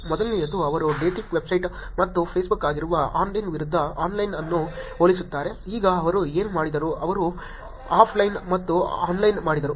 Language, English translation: Kannada, First one, they compare online versus online which is the dating website and Facebook, now what they did was they did the offline and the online